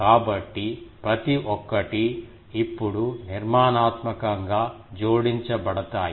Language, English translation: Telugu, So, each one will be now constructively adding